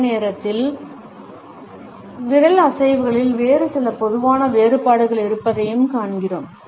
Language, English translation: Tamil, At the same time we find that there are certain other common variations of finger movements